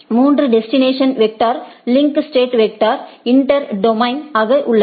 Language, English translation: Tamil, There are sorry there are three distance vector link state as the inter domain